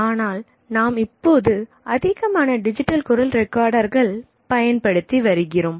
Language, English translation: Tamil, Now more and more digital voice recorders are used